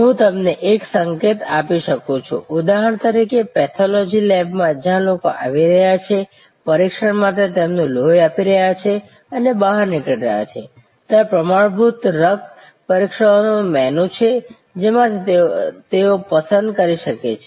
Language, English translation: Gujarati, I can give you a hint like for example, pathology lab where people are coming in, giving their blood for testing and exiting, there is a menu of standard blood tests from which they can select